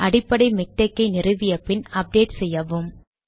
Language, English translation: Tamil, As soon as installing the basic miktex, update it